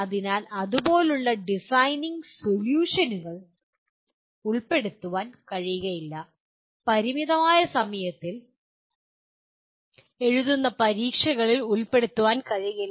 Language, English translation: Malayalam, So the designing solutions like this cannot be fitted into, cannot be included in limited time written examinations